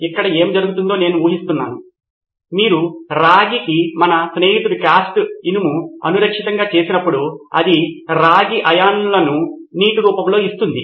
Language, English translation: Telugu, I guess this is what is happening is that when you have copper say unprotected by our friend the cast iron it was giving of copper iron, copper ions are a water form